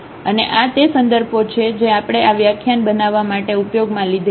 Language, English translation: Gujarati, And these are the references we have used to prepare these lecture